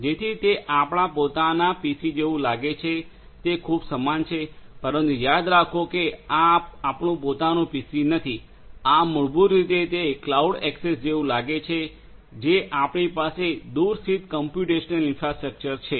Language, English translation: Gujarati, So, it is you know it looks very similar to the way it looks for your own PC, but remember that this is not our own PC this is basically how it looks to the cloud access that we have for the remote the remote computational infrastructure